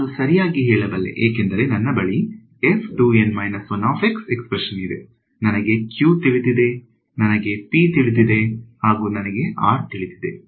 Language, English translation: Kannada, I can right because I have a expression for f 2 N minus 1 x so, I know q, I know P, I know r